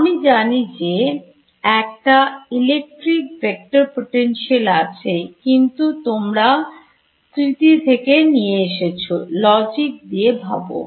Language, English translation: Bengali, I know there is a electric vector potential, but you are recalling from memory recalls from logic